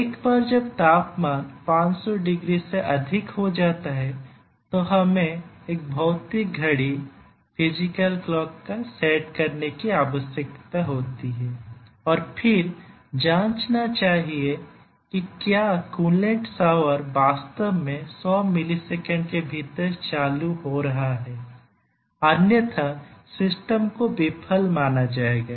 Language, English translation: Hindi, So, here once the temperature exceeds 500 degrees then we need to set a physical clock and then check whether the coolant shower is actually getting on within 100 millisecond otherwise the system would be considered as failed